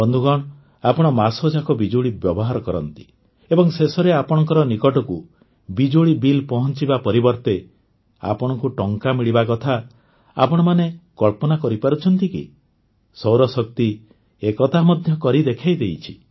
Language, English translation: Odia, Friends, can you ever imagine that on using electricity for a month, instead of getting your electricity bill, you get paid for electricity